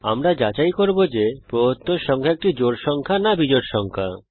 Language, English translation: Bengali, We shall check if the given number is a even number or an odd number